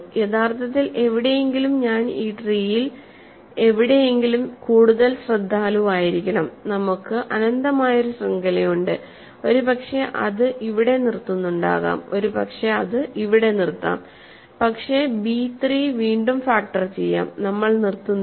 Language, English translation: Malayalam, So, somewhere actually I should be more careful somewhere in this tree we have an infinite chain, maybe it stops here but b 3 we factor it is does not stop there